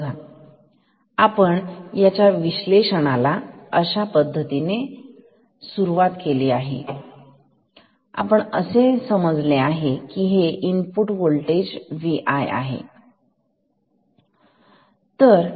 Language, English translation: Marathi, See, we will start the analysis with the assumption that V i